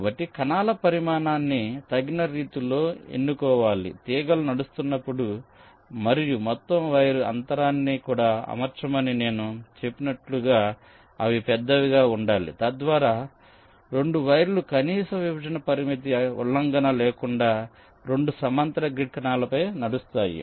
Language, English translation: Telugu, they should be large enough to means, as i said, to accommodate the wires when they are running and also the entire wire spacing, so that two wires can run on two parallel set of grid cells without any minimum separation constraint violation